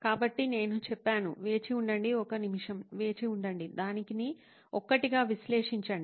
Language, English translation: Telugu, So I said, wait wait wait wait wait a minute, let’s analyse it one by one